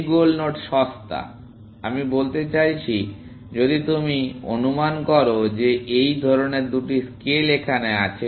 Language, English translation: Bengali, This goal node is cheaper, I mean, if you just assume that this is kind of two scale, in some sense